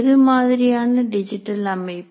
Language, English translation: Tamil, What kind of digital systems